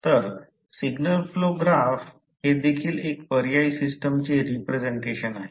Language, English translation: Marathi, So, Signal Flow Graphs are also an alternative system representation